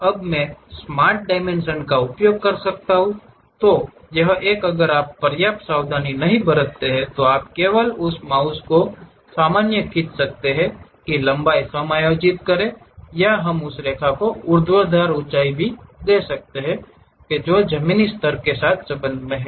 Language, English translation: Hindi, Now, I can use my smart dimension, this one if you are careful enough you can just pull this mouse normal to that adjust the length or we can give the vertical height of that line also with respect to ground level